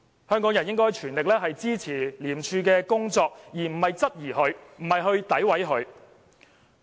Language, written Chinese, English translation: Cantonese, 香港人應該全力支持廉署的工作，而不是質疑和詆毀廉署。, Hong Kong people should give their full support to the work of ICAC instead of querying and badmouthing it